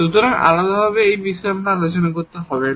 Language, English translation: Bengali, So, we do not have to discuss this separately